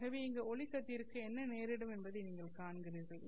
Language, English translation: Tamil, So, what should happen to the incident ray of light here